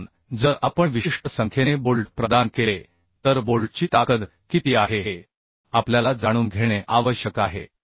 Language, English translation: Marathi, So if we provide certain number of bolts when we need to know what is the strength of the bolt